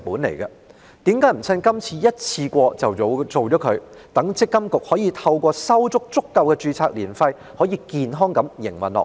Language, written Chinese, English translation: Cantonese, 為甚麼不趁這次修例處理妥當，讓積金局可以收取足夠註冊年費，健康地營運下去？, Why doesnt the authorities seize the opportunity of the present legislative amendment to properly deal with the matter so that MPFA can collect sufficient ARF to maintain its operation in a healthy manner?